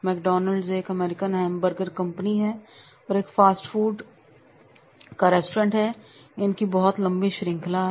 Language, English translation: Hindi, McDonald's is an American hamburger and fast food restaurant chain